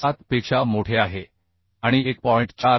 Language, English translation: Marathi, 7 and less than 1